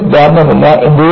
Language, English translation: Malayalam, You do not have one theory